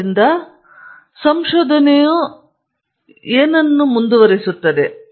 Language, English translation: Kannada, So, what drives research